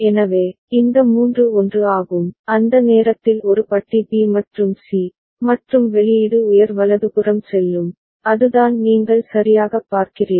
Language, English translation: Tamil, So, this three are 1, at that time A bar B and C, and the output will go high right that is what you see right